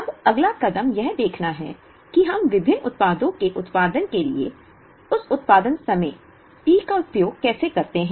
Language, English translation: Hindi, Now, the next step is to try and see how we use that production time P t to produce various products